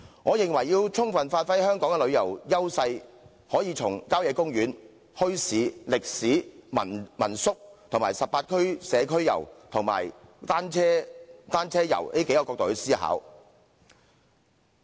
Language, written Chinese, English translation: Cantonese, 我認為要充分發揮香港的旅遊優勢，可以從郊野公園、墟市、歷史、民宿、18區社區遊和單車遊的角度來思考。, In my opinion to give full play to the edges of Hong Kong tourism we may consider from the perspectives of country parks bazaars history homestay lodgings community tours in 18 districts and bicycle tourism